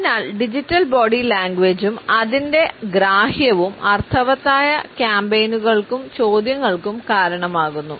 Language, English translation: Malayalam, So, digital body language and its understanding results in meaningful campaigns and questions also